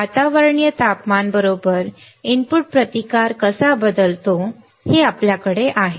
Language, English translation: Marathi, We have then we have how the input resistance changes with the ambient temperature right